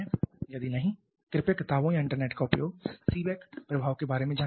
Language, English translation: Hindi, Have you heard about Seebeck effect, if not please refer to the books or maybe the internet to learn about Seebeck effect